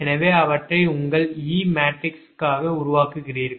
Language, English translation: Tamil, that means all these, all these e matrix